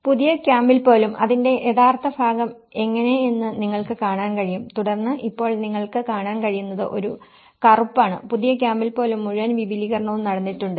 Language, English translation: Malayalam, Even in the new camp, you can see this is how the original part of it and then now today what you can see is a black, the whole expansions have taken place even in the new camp